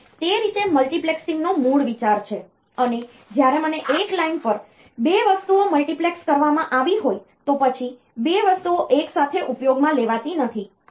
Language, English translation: Gujarati, So, that is the way that is the basic idea of multiplexing, when I have got 2 items multiplexed on a line then 2 items are not used simultaneously